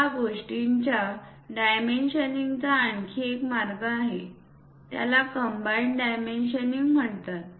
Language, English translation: Marathi, There is one more way of dimensioning these things called combined dimensioning